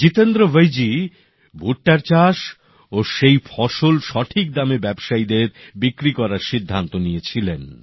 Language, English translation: Bengali, Jitendra Bhoiji had sown corn and decided to sell his produce to traders for a right price